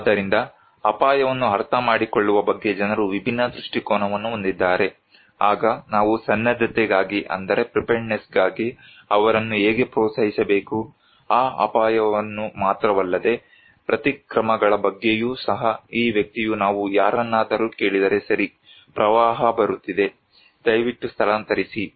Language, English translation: Kannada, So, people have different perspective in about understanding risk, how we have to encourage them for the preparedness then, not only that risk but also about countermeasures, this person if we ask someone that okay, flood is coming, please evacuate